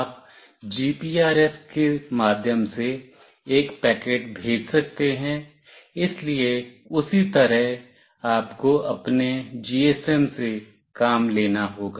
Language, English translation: Hindi, You can send a packet through GPRS, so accordingly you have to make your GSM work upon